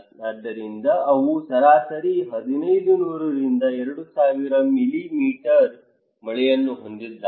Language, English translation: Kannada, So they have average rainfall of 1500 to 2000 millimetre but concentrated only in these months